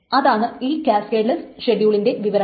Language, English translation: Malayalam, That is the effect of this cascadless schedules